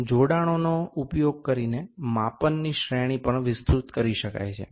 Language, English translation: Gujarati, The range of the measure can also be extended by using attachments